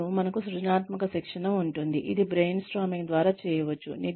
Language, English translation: Telugu, And, we can have creativity training, which can be done through brainstorming